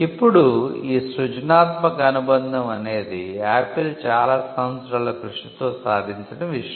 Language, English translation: Telugu, Now, this creative association is something which Apple achieved over a period of time